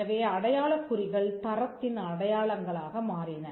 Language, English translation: Tamil, So, the mark over the period of time became symbols of quality